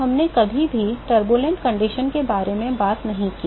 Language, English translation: Hindi, So, we never talked about Turbulent condition